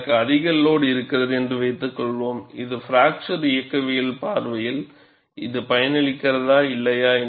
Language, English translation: Tamil, Suppose, I have an overload, is it beneficial from fracture mechanics from point of view or not